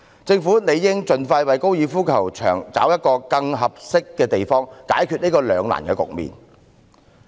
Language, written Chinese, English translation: Cantonese, 政府應盡快為高爾夫球場物色更合適的地方，解決這個兩難局面。, The Government should expeditiously identify a more suitable site for the golf course to resolve this dilemma